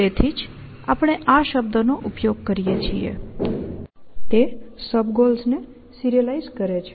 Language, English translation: Gujarati, So, that is why we use a term; it is serializing the sub goals, essentially